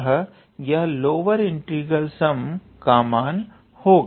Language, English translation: Hindi, This is our upper integral sum